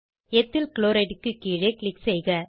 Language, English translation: Tamil, Click below Ethyl Chloride